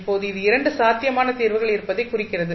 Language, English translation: Tamil, Now, this indicates that there are 2 possible solutions